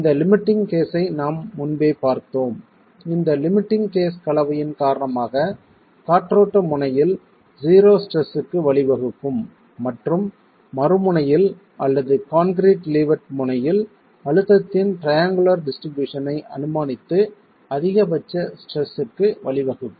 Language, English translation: Tamil, We have seen this limiting case earlier, a limiting case due to the combination leading to zero stresses at the windward end and maximum stresses assuming a triangular distribution of stresses in compression at the other end of the leeward end of the wall